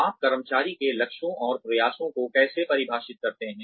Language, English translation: Hindi, How do you define employee goals and efforts